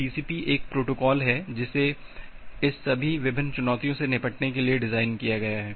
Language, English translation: Hindi, Now TCP is a protocol which is designed to handle all this different challenges